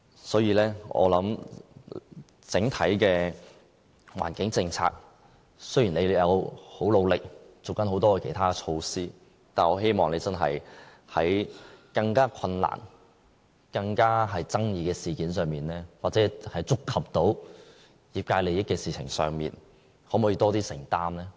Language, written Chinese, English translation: Cantonese, 所以，我想整體的環境政策，雖然當局已經很努力，推行很多其他措施，但我希望當局在更困難、更具爭議的事件上，或觸及業界利益的事情上，可否作出更多承擔呢？, On the whole the Government has worked very hard to take forward a number of environmental initiatives . But I hope that the Government would play a more committed role in dealing with the more difficult and controversial issues in which the industry has vested interest